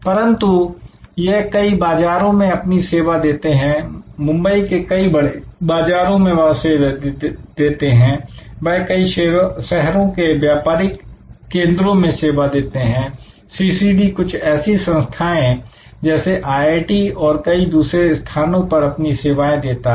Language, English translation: Hindi, So, but this served many markets, this serve very up market in Bombay, this serve business market in other cities, CCD serves, institutions like IIT’s and many other locations